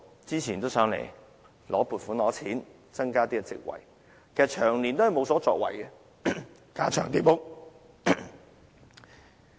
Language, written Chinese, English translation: Cantonese, 早前曾來到立法會申請撥款，增加職位，卻長年無所作為，架床疊屋。, Not long ago he came to the Legislative Council to seek funding for increasing the number of posts but it has yielded no results over the years except duplication and redundancy